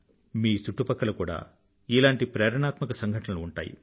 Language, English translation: Telugu, Your surroundings too must be full of such inspiring happenings